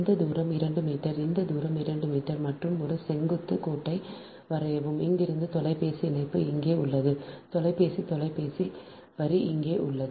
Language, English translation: Tamil, this distance is two meter, this distance is two meter, and from here it telephone line is here, telephone telephone line is here, right